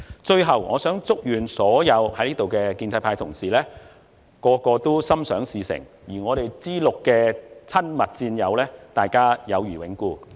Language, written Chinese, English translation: Cantonese, 最後，我祝願所有在座的建制派同事心想事成，以及 "G6" 的親密戰友友誼永固。, Lastly to all pro - establishment colleagues may all your wishes come true and to my dear G6 partners friendship forever